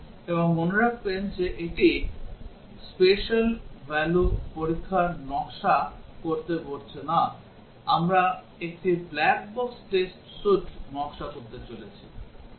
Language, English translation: Bengali, And note that this is not asking to design the special value testing, we are asking to design a black box test suite